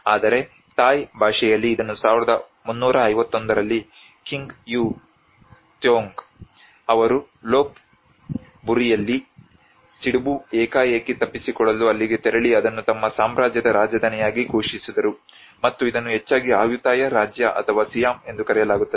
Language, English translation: Kannada, But in Thai it has been founded in 1351 by King U Thong who went there to escape a smallpox outbreak in Lop Buri and proclaimed it the capital of his kingdom, and this is often referred as Ayutthaya kingdom or Siam